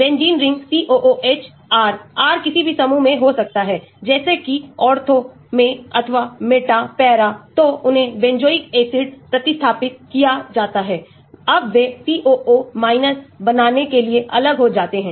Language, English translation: Hindi, The benzene ring COOH, R; R could be in any group like this in ortho or meta, para, so they are benzoic acid substituted, now they dissociate to form COO –